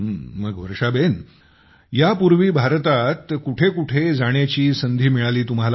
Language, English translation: Marathi, So where all did you get a chance to go in India earlier